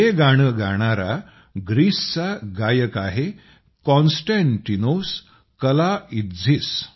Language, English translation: Marathi, This song has been sung by the singer from Greece 'Konstantinos Kalaitzis'